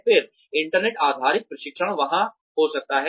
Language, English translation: Hindi, Then, internet based training, could be there